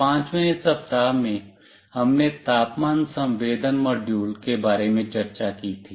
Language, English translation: Hindi, In week 5, we discussed about temperature sensing module